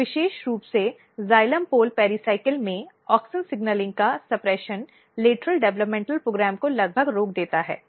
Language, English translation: Hindi, So, suppression of auxin signalling very specifically in the xylem pole pericycles almost stop lateral developmental program